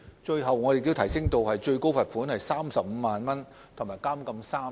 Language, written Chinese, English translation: Cantonese, 其後，我們更把最高罰款提升至35萬元及監禁3年。, Subsequently we have even raised the maximum penalty to a fine of 350,000 and three years imprisonment